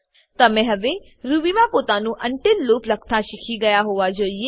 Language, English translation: Gujarati, You should now be able to write your own until loop in Ruby